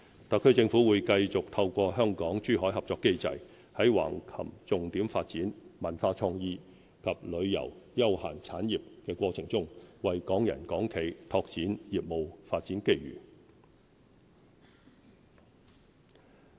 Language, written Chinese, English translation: Cantonese, 特區政府會繼續透過香港珠海合作機制，在橫琴重點發展文化創意及旅遊休閒產業過程中，為港人港企拓展業務發展機遇。, The HKSAR Government will continue to make use of the cooperation mechanism between Hong Kong and Zhuhai to open up business opportunities for Hong Kong people and corporations during the process of Hengqins development of the cultural creativity tourism and leisure industries